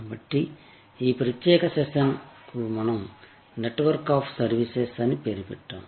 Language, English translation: Telugu, So, this particular session we have titled as Network of Services